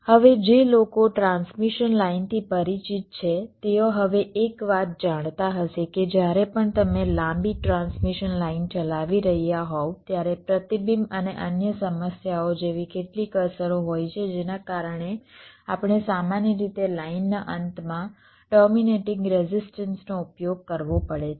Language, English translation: Gujarati, right now, one thing now, for those who are familiar with transmission lines, will be knowing that whenever you are driving a long transmission line, there are some effects like reflection and other problems, because of which we normally have to use a terminating resistance at the end of the line